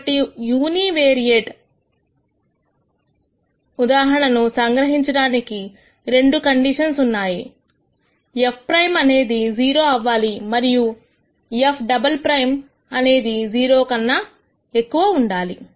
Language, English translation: Telugu, So, to summarize in the univariate case the two conditions are f prime has to be zero and f double prime has to be greater than 0